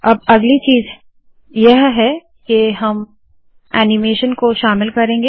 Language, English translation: Hindi, Next what we will do is, what I will do now is to include animation